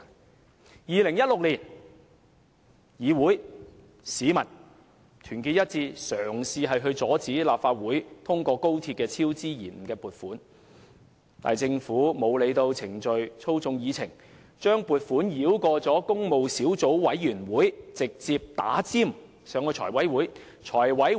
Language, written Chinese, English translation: Cantonese, 在2016年，議員與市民團結一致，嘗試阻止立法會通過就高鐵超支及延誤作出撥款，但政府卻沒有理會程序，透過操控議程，把撥款申請繞過工務小組委員會，插隊提交財務委員會。, In 2016 Members and the public joined hands in an attempt to stop the Legislative Council from approving any funding request concerning the cost overrun and works delay of the XRL project . But the Government simply brushed aside the established procedures and manipulated the agenda bypassing the Public Works Subcommittee and submitting the request to the Finance Committee forthwith